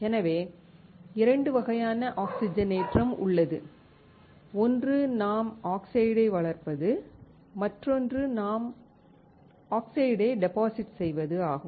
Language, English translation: Tamil, So, the point is there are 2 types of oxidation; one is when we grow it, one when we deposit it